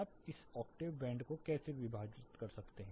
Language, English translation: Hindi, How do you split this octave bands